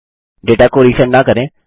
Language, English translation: Hindi, Dont resend the data